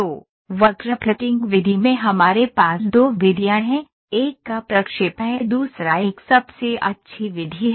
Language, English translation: Hindi, So, in curve fitting method we have two methods: one is interpolation another one is the best fit method